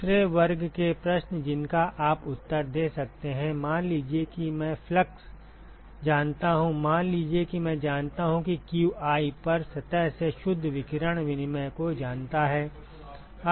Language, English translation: Hindi, The second class of questions you can answer is suppose I know the fluxes suppose I know qi know the net radiation exchange from every surface